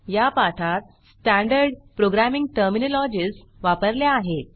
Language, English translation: Marathi, Standard programming terminologies have been used in this tutorial